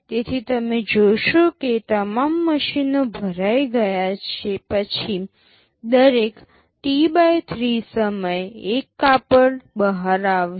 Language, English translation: Gujarati, So, you see after all the machines are all filled up, every T/3 time one cloth will be coming out